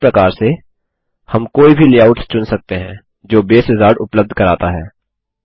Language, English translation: Hindi, In this way, we can choose any of the layouts that Base Wizard provides